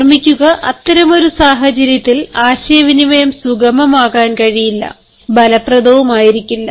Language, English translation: Malayalam, remember, in such a situation, the communication cannot become smooth and cannot be effective